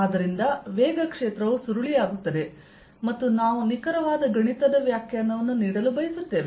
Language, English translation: Kannada, so the velocity field becomes curly and we want to give a precise mathematical definition